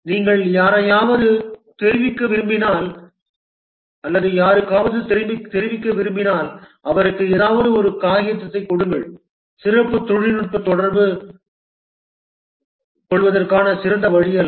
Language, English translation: Tamil, If you want to convey somebody something, you give him a paper, specially technical communication is not a good way to communicate